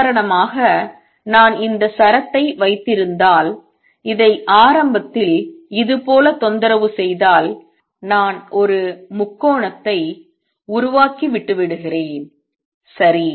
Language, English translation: Tamil, For example if I have this string and I initially disturb it like this I am make a triangle and leave it, right